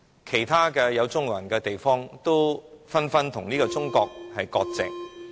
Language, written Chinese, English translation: Cantonese, 其他地方的中國人，都紛紛與中國割席。, Chinese people in other places are dissociating themselves from China